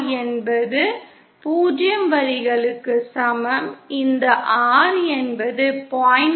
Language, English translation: Tamil, So is the R equal to 0 line, this is the R equal to 0